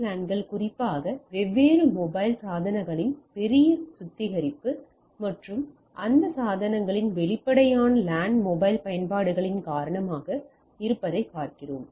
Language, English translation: Tamil, So, as we see that WLANs especially due to huge purification of our different mobile devices and obvious LAN mobile applications on those devices